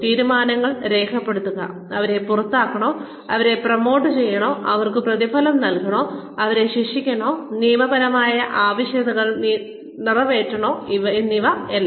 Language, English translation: Malayalam, Document decisions, whether to fire them, whether to promote them, whether to reward them, whether to punish them, and meeting legal requirements, of course